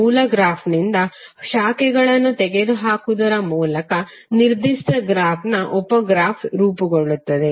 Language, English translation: Kannada, Sub graph of a given graph is formed by removing branches from the original graph